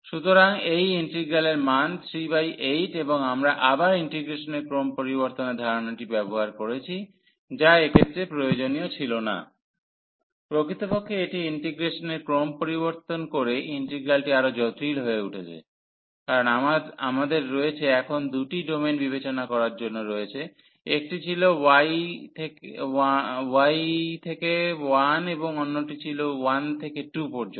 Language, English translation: Bengali, So, the value of this integral is 3 by 8 and we have used again the idea of change of order of integration which was not necessary in this case indeed it has the integral has become more complicated by changing the order of integration, because we have to now considered 2 domains 1 was from y to 1 and the other one was from 1 to 2